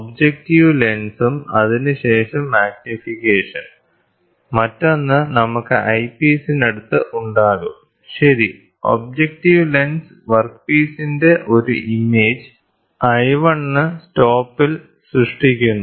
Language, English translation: Malayalam, The objective lens and then it is there, we have one magnification the other one we will have at close to the eyepiece, ok, the objective lens forms an image of workpiece at l 1 at the stop